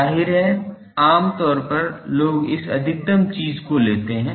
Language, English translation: Hindi, Obviously, generally people go for this maximum thing